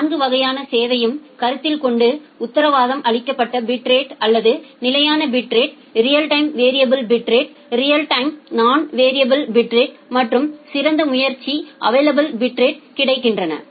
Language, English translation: Tamil, So, considering those 4 classes of service, the guaranteed bit rate or the constant bit rate, the real time variable bit rate, the non real time variable bit rate and a best effort are available bit rate